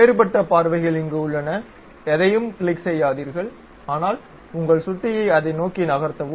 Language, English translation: Tamil, There are different views uh do not click anything, but just move your mouse onto that